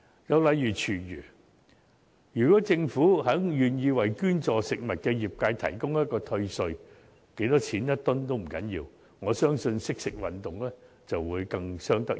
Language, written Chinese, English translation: Cantonese, 又例如廚餘，如果政府願意為捐助食物的業界提供退稅，每噸值多少錢也不要緊，我相信"惜食運動"會更有成效。, Recycling of food waste is another example . Should the Government be willing to provide tax rebate to the trade for food donation no matter how much will be refunded per ton I believe the Food Wise Hong Kong Campaign will be much more successful